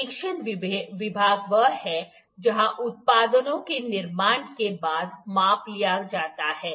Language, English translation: Hindi, Inspection department are the one where the measurements are taken after the products are manufactured